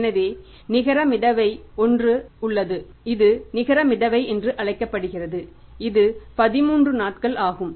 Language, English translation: Tamil, This is called as net float which is here that is how much 13 days